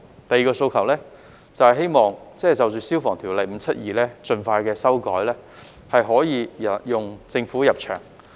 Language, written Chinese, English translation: Cantonese, 第二個訴求是希望盡快就《消防安全條例》作出修改，讓政府入場。, The second request is to amend the Fire Safety Buildings Ordinance Cap . 572 as soon as possible so as to get the Government involved